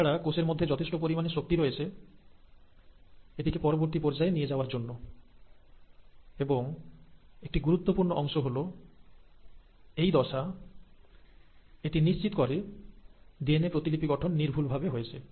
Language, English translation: Bengali, Again, there is sufficient energy available with the cell to commit itself to the next step, and a very important part is that it will make sure at this stage that the process of DNA replication has been foolproof